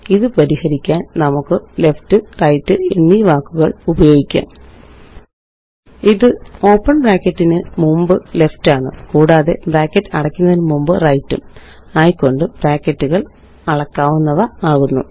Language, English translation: Malayalam, To solve this, we can use the words Left and Right i.e.Left just before open bracket and Right before close bracket to make the brackets scalable